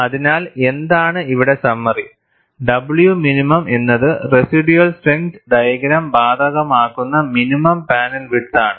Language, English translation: Malayalam, So, what, summary here is, W minimum is the minimum panel width for which, the residual strength diagram is applicable